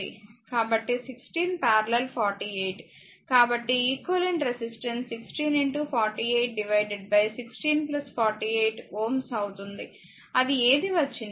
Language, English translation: Telugu, So, 16 is in parallel is 48; so, equivalent will be 16 into 48 divided by 16 plus 48 ohm right whatever it comes